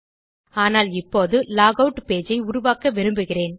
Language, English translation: Tamil, But now I want to create a log out page